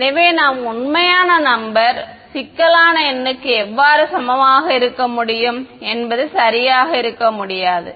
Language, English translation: Tamil, So, how can a real number be equal to complex number cannot be right